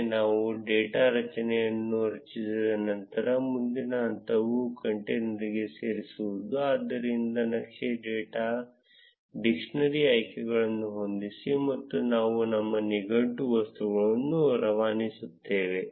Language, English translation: Kannada, Once we have the data array created, next step is to add to the container, so chart dot set dictionary options and we pass our dictionary object